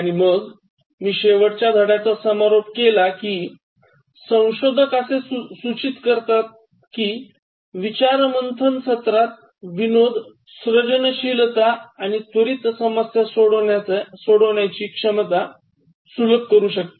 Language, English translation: Marathi, And then, I concluded the last lesson by pointing out to you that researchers indicate that humour in brainstorming sessions can facilitate creativity and quick problem solving ability